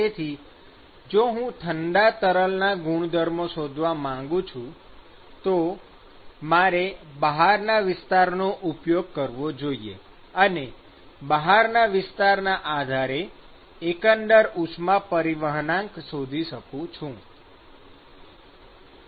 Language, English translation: Gujarati, So, if I want to find a hot fluid properties, then I need to use the outside area and find out the overall heat transport coefficient defined based on the outside area, when we